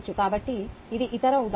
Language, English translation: Telugu, so this is the other example